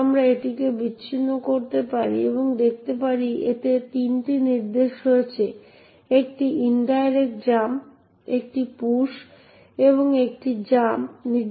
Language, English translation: Bengali, We can disassemble this and see that it comprises of three instructions an indirect jump, a push and a jump instruction